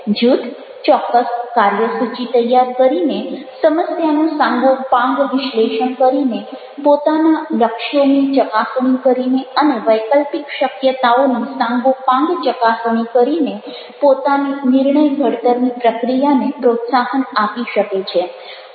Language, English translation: Gujarati, a group can promote it's own decision making capacities by setting a definite agenda, doing a thorough problem analysis, assessing it's goals and thoroughly assessing alternative possibilities